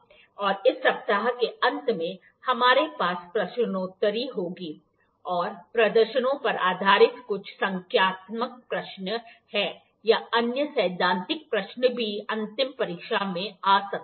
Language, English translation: Hindi, And we will have the quiz in the end of this week, and there is some questions, some numerical questions of based upon the demonstrations or the other questions theoretical questions might also come in the final exam as well, so